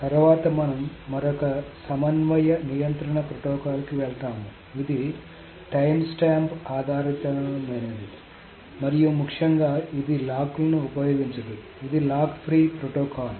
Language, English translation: Telugu, So, next we will move on to another concurrency control protocol which is a timestamp based and very importantly this does not use locks